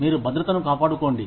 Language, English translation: Telugu, You maintain security